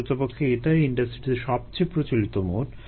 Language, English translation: Bengali, in fact that is the most common mode in an industry